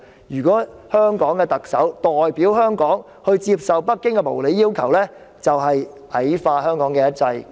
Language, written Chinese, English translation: Cantonese, 如果香港的特首代表香港接受北京的無理要求，便是矮化香港的"一制"。, If the Chief Executive of Hong Kong accepts unreasonable demands posed by Beijing on behalf of Hong Kong it is a degrading of the one system of Hong Kong